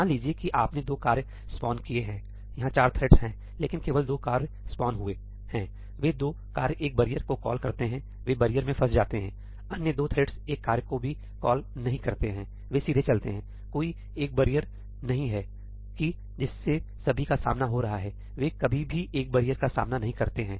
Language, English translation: Hindi, Suppose that you have spawned two tasks, there are four threads, but only two tasks are spawned; those two tasks call a barrier, they get stuck in the barrier; the other two threads do not even call a task, they go straight; there is no single barrier that all of them are encountering, they never even encounter a barrier